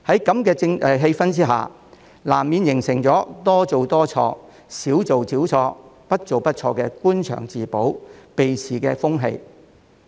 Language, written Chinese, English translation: Cantonese, 在如此氣氛下，難免會形成"多做多錯，少做少錯，不做不錯"的官場自保、避事風氣。, In such an atmosphere it is inevitable for a culture of self - preservation and problem evasion to develop in official circles characterized by the mindset of do more err more and do less err less